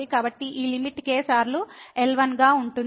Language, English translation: Telugu, So, this limit will be times